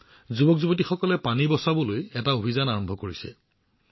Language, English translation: Assamese, The youth here have started a campaign to save water